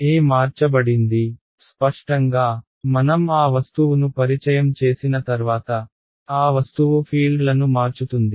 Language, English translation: Telugu, E has changed; obviously, once I introduce an that object, that object is going to scatter the fields